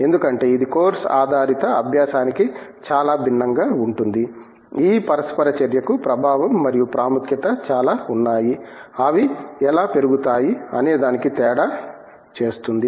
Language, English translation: Telugu, Because, it is very different from a course based kind of learning, there is a lot of I mean influence and importance to this interaction that makes a difference in how they grow